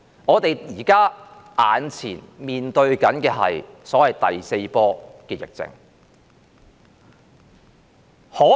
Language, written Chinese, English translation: Cantonese, 我們眼前面對所謂第四波疫情。, We are now facing the so - called fourth wave of the epidemic